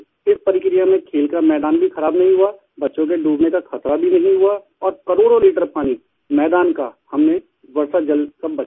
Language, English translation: Hindi, This way the play ground remained unspoilt and there was no danger of children drowning in these… and we managed to save crores of litres of rainwater which fell on the playfield